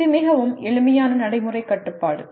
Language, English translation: Tamil, It is a very simple practical constraint